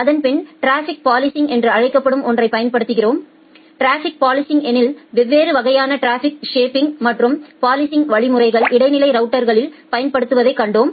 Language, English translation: Tamil, Then we apply something called traffic policing, in case of traffic policing we have seen we have seen that different type of traffic shaping and the policing mechanisms are applied in intermediate routers